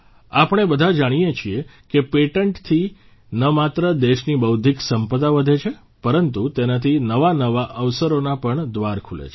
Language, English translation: Gujarati, We all know that patents not only increase the Intellectual Property of the country; they also open doors to newer opportunities